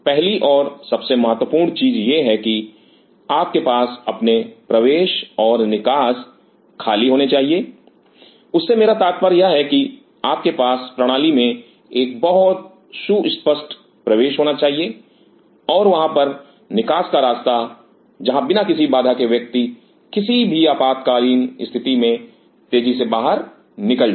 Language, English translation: Hindi, The first and foremost thing is that you should have your entry and exit very clear, what I meant by that is that you should have a very clear cut entry into the system and there should be exit rout where without any obstruction one should be able to rush out in case of any emergency